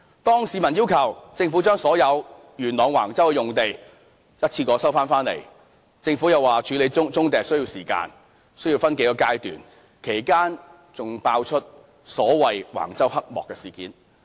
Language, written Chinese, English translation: Cantonese, 當市民要求政府將元朗橫洲的用地一次過收回時，政府又指處理棕地需要時間，需要分數個階段，其間還爆出所謂橫洲黑幕事件。, When the public asked the Government to recover the land at Wang Chau in Yuen Long in one go the Government remarked that it needed time to deal with brownfield sites and a few stages would be involved . During that time the Wang Chau scandal broke out